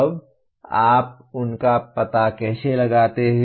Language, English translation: Hindi, Now, how do you locate them